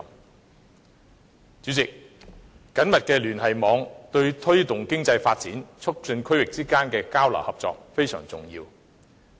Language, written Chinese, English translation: Cantonese, 代理主席，緊密的聯繫網對推動經濟發展、促進區域之間的交流合作非常重要。, Deputy President a tight connection network is very important for promoting economic development and facilitating exchanges and cooperation among regions